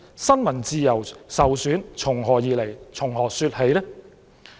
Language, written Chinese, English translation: Cantonese, 新聞自由受損從何說起？, How can one say that freedom of the press has been undermined?